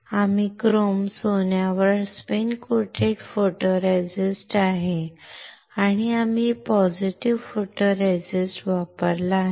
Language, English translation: Marathi, We have spin coated photoresist on chrome gold and we have used positive photoresist